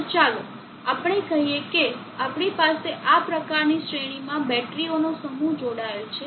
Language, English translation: Gujarati, So let us say that we have set of batteries connected in series like this